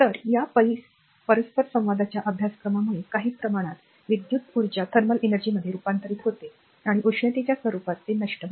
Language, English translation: Marathi, So, because of the your course of these interaction some amount of electric energy is converted to thermal energy and dissipated in the form of heat